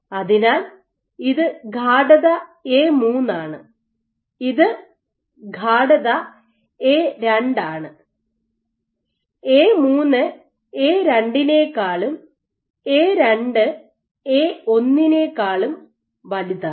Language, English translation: Malayalam, So, this is concentration A3 this is concentration A2 and we have A3 greater than A2 greater than A1 ok